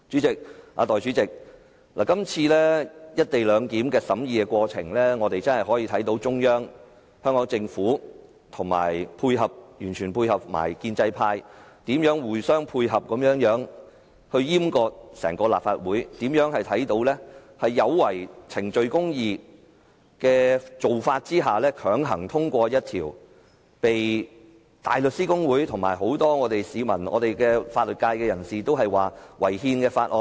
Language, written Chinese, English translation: Cantonese, 代理主席，《條例草案》的審議過程，亦讓我們看到中央、香港政府和完全聽命的建制派，如何互相配合，一同閹割整個立法會，也看到他們如何在違反程序公義之下，強行通過一項被香港大律師公會、很多市民和法律界人士認為屬違憲的法案。, Deputy President the deliberation process on the Bill has shown to us how the Central Authorities the Hong Kong Government and the completely obedient members of the pro - establishment camp have worked in coordination to castrate the entire Legislative Council . We can also see clearly how they have breached procedural justice and forcibly passed a bill which is considered unconstitutional by the Hong Kong Bar Association a large number of people and many members of the legal sector